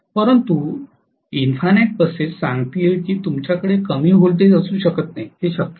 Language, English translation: Marathi, But, infinite buses going to say you cannot have lower voltage, it is not possible